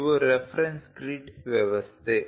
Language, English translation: Kannada, These are the reference grid system